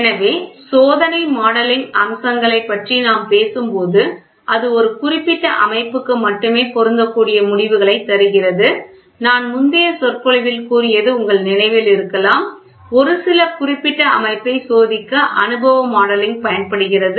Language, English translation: Tamil, So, when we talk about features of experimental modelling it is often it often gives the results that apply only to a specific system that is what I said you remember in the previous lecture empirical modelling, for the specific system being tested